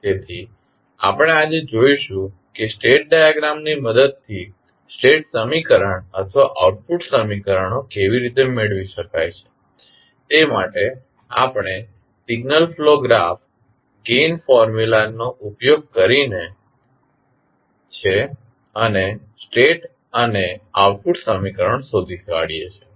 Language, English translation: Gujarati, So, we will see today that how state equation or output equations can be obtained with the help of state diagram for that we use signal flow graph gain formula and find out the state and output equations